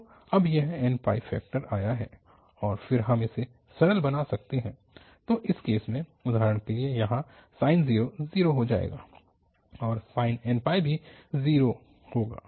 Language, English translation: Hindi, So, this n pi factor has come now and then we can simplify this, so we can, in this case for instance, here the sine 0 will become 0 and sine n pi will be also 0